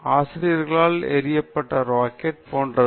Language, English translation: Tamil, This is like the rocket which is thrown at teachers